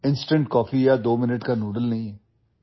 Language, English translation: Assamese, It is not instant coffee or twominute noodles